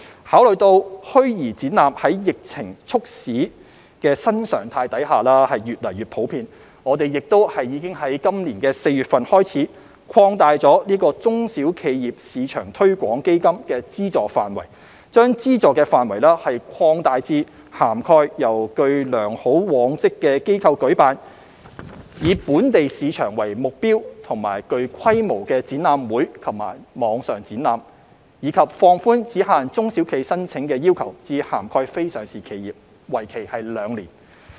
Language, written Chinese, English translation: Cantonese, 考慮到虛擬展覽在疫情促使的新常態下越趨普遍，我們已由今年4月開始，擴大中小企業市場推廣基金的資助範圍，將資助範圍擴大至涵蓋由具良好往績的機構舉辦，以"本地市場"為目標及具規模的展覽會及網上展覽；以及放寬只限中小企申請的要求至涵蓋非上市企業，為期兩年。, Given that virtual exhibitions have become increasingly popular under the new normal brought about by the epidemic we have since April this year started expanding the funding scope of the SME Export Marketing Fund to cover large - scale exhibitions and virtual exhibitions targeting the local market held by organizations with good track record; while relaxing the eligibility criteria from covering SMEs only to non - listed enterprises for a period of two years